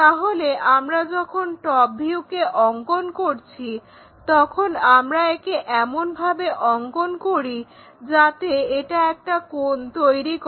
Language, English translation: Bengali, So, what we do is when we are doing in the top view, we construct in such a way that it makes an angle